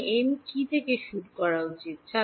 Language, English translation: Bengali, So, what should m start from